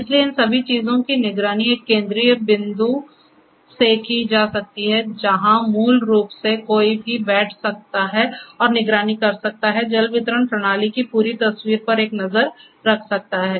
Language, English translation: Hindi, So, all of these things can be monitored from a central point where basically one can sit and monitor have a look at the complete picture of the water distribution system